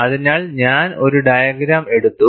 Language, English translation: Malayalam, So, I have taken one diagram